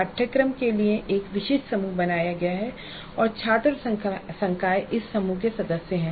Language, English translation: Hindi, A specific group is created for the course and the students and the faculty are members of this group